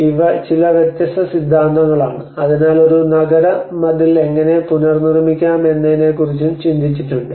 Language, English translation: Malayalam, So these are some various theories which has also thought about so how in what ways we can reproduce a city wall